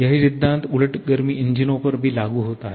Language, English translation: Hindi, The same principle is also applicable to reversed heat engines